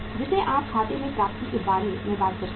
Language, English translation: Hindi, Like you see talk about the accounts receivables